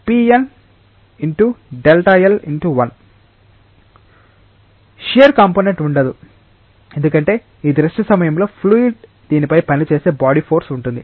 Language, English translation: Telugu, There will be no shear component because it is a fluid at rest, there will be a body force which is acting on this